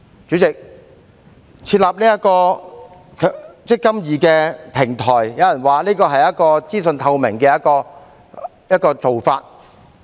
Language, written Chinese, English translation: Cantonese, 主席，設立"積金易"平台，有人說這是資訊透明的做法。, President some people say that the setting up of this eMPF platform can enhance information transparency